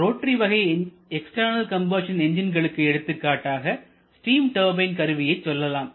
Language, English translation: Tamil, Whereas the example of rotary kind of external combustion engines most common example is steam turbine in case a steam turbine you have a boiler